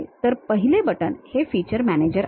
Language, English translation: Marathi, So, the first button is feature manager